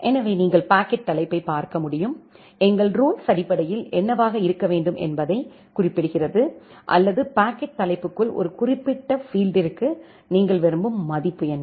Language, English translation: Tamil, So, you can look into the packet header and our rule basically specifies what should be or what is you are interested value for a specific field inside the packet header